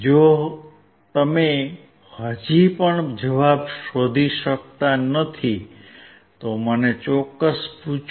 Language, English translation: Gujarati, If you still cannot find the answer please feel free to ask me